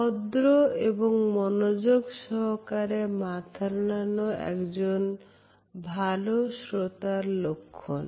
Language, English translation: Bengali, A polite and attentive nod is also related with good listening skills